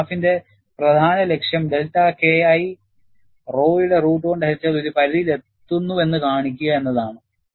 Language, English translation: Malayalam, The main purpose of this graph is, to show the delta K 1 divided by root of rho, reaches a threshold